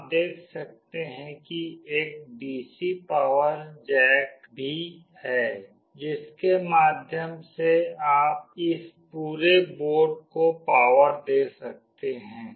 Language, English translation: Hindi, You can see there is also a DC power jack through that you can power this entire board